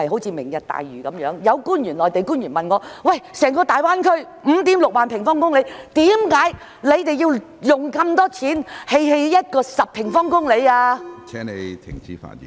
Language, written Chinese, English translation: Cantonese, 以"明日大嶼"為例，有內地官員曾問我，整個大灣區的面積是 56,000 平方公里，我們為何要花那麼多錢，興建面積只有約10平方公里的基建......, Taking the Lantau Tomorrow Vision as an example a Mainland official once asked me why we had to spend so much money on an infrastructure project covering an area of only about 10 sq km when the entire Greater Bay Area has an area of 56 000 sq km